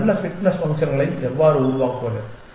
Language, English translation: Tamil, Then how to devise a good fitness functions